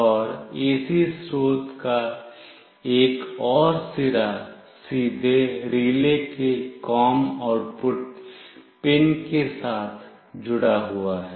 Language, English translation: Hindi, And another end of the AC source is directly connected with the COM output pin of the relay